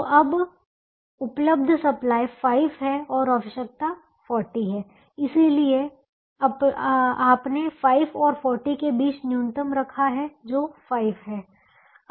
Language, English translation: Hindi, so now the available supply is five and the requirement is forty, and therefore you put the minimum between five and forty, which is five